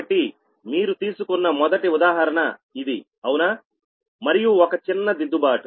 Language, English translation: Telugu, so this is the first example you took right and one one, one small correction you make